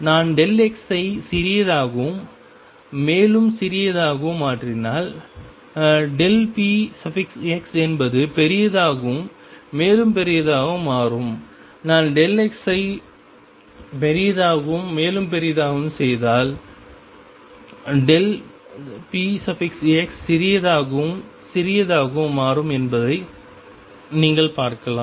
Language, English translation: Tamil, You can see if I make delta x smaller and smaller delta p as becomes larger, and larger if I make delta x larger and larger delta p x becomes smaller and smaller smaller